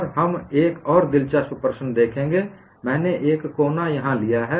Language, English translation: Hindi, And we would see another interesting problem; I have taken a corner here